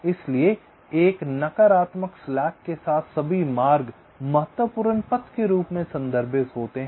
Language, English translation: Hindi, so all paths with a negative slack, they are refer to as critical paths